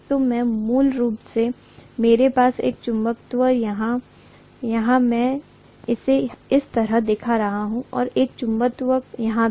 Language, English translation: Hindi, So I am going to have basically a magnet here, I am showing it like this and one more magnet here